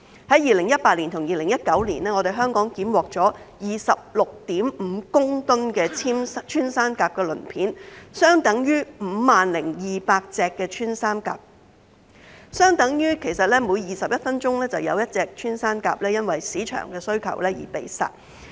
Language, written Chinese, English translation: Cantonese, 在2018年和2019年，香港檢獲了 26.5 公噸穿山甲鱗片，相等於 50,200 隻穿山甲，即每21分鐘就有一隻穿山甲因市場需求而被殺。, In 2018 and 2019 26.5 tonnes of pangolin scales were seized in Hong Kong equivalent to 50 200 pangolins which means that a pangolin is being poached every 21 minutes to meet the market demand